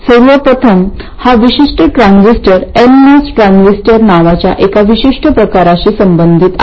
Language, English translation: Marathi, First of all this particular transistor corresponds to one particular type called the NMOS transistor